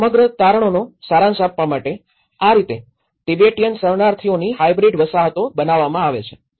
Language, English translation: Gujarati, And to summarize the whole findings, this is how hybrid settlements of Tibetan refugees are produced